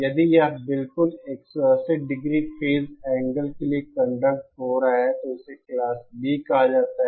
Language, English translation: Hindi, If it is conducting for exactly 180 degree phase angle, then it is called Class B